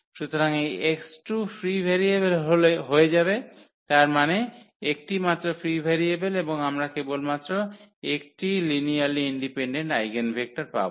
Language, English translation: Bengali, So, this x 2 is going to be the free variable; that means, only one free variable and we will get only one linearly independent eigenvector